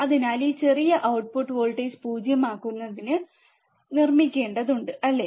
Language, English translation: Malayalam, So, this small voltage which is required to make to make the output voltage 0, right